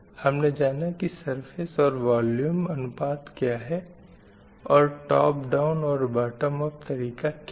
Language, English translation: Hindi, And we have also learned what is surface at a volume ratio and we have also learned what is top down operation bottom approach